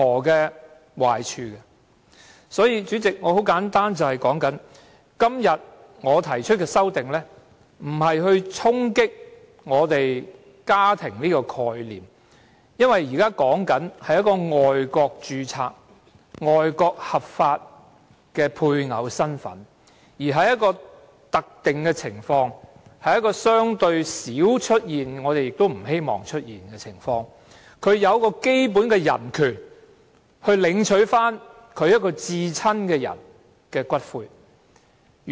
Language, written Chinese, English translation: Cantonese, 因此，主席，我今天提出的修正案，並非要衝擊我們對"家庭"的概念，因為修正案說的，是一個在外國註冊且具合法配偶身份的人，在一個特定的情況，是一個相對少出現——我們亦不希望出現——的情況下，他享有基本人權，領取他至親的人的骨灰。, Hence Chairman the amendment proposed by me today is not meant to challenge our concept of family . My amendment proposes that a person with the legal status of a spouse in a marriage registered overseas be given the basic human rights to claim for the return of the ashes of a person closest to him under a specified circumstance which is relatively rare―we do not hope to see such cases happening